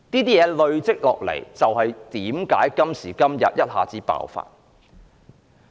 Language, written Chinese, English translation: Cantonese, 這些問題一直累積，因此，今時今日一下子爆發。, The continuous accumulation of these problems has resulted in their sudden eruption today